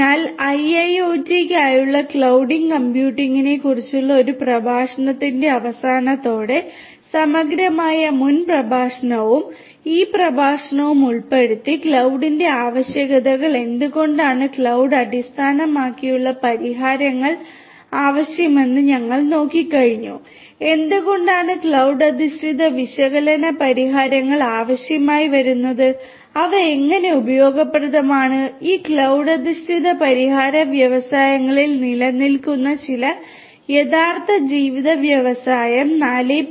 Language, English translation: Malayalam, So, with this we come to an end of the lecture on cloud computing for IIoT, holistically previous lecture and this lecture onwards this lecture included, we have seen the different features of cloud we have looked at the requirements of cloud why cloud based solutions are required, why cloud based analytic solutions are required and how they are useful and how this cloud based solution is going to help in catering to certain real life industry 4